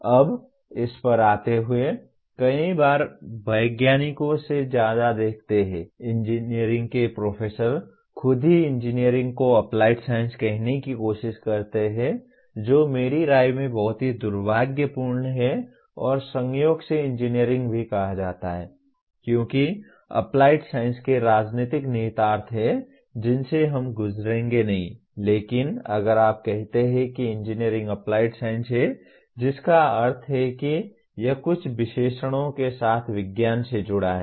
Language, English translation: Hindi, Now, coming to this, many times you see more than scientists, engineering professors themselves trying to call engineering as applied science which in my opinion is very unfortunate and also incidentally calling engineering as applied science has political implications which we will not go through but if you call engineering is applied science that means it is science with some adjective added to that